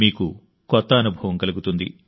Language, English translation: Telugu, You will undergo a new experience